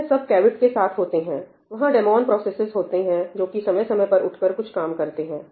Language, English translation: Hindi, All of this is with a caveat, there are some demon processes which wake up from time to time and do some stuff